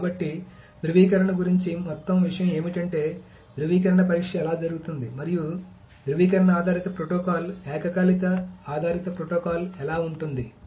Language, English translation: Telugu, This is how the validation test is done and that is how the validation based protocol, the concurrency based protocol goes through